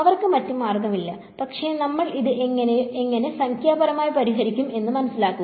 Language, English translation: Malayalam, So, they had no choice, but to figure out how do we solve this numerically so